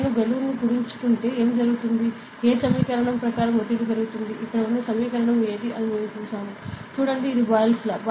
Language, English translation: Telugu, So, if I compress the balloon what happens is, the pressure will build up according to which equation; the equation over here that we have seen which one is that, see ok, it is the Boyle’s law